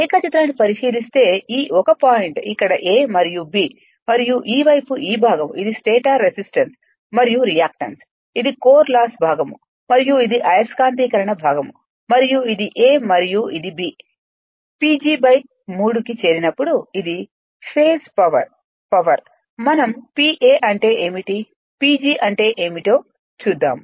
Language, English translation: Telugu, If you look into the diagram, this one point is here a and b right and this side this part your what you call, and this is your stator resistance and reactance, this is your core loss component and this is the magnetizing component and this is a and this is b; when you make P G by 3